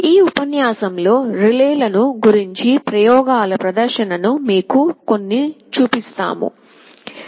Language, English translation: Telugu, In this lecture, we shall be showing you some hands on demonstration experiments using relays